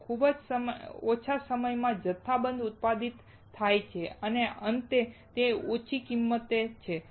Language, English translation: Gujarati, It is manufactured in bulk in very less time and finally, it is low cost